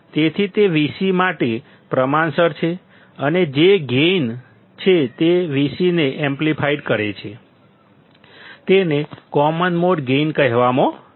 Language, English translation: Gujarati, So, it is also proportional to Vc and the gain with which it amplifies this V c is called common mode gain